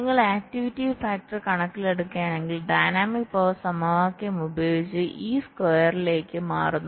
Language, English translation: Malayalam, so if you take the activity factor into account, our dynamics power equation changes to this square